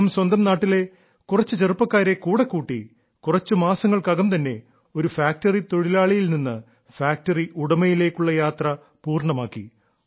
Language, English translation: Malayalam, He brought along some youngsters from his area and completed the journey from being a factory worker to becoming a factory owner in a few months ; that too while living in his own house